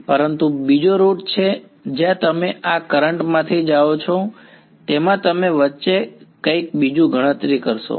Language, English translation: Gujarati, But there is another route where you go from these currents you would calculate something else in between